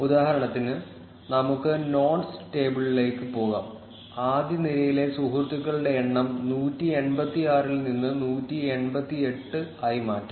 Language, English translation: Malayalam, For instance, let us go to the nodes table, and change the number of friends of the first row from 186 to 188